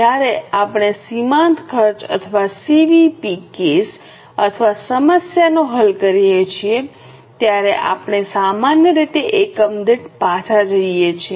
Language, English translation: Gujarati, When we are solving a marginal costing or a CBP case or a problem, we normally go by per unit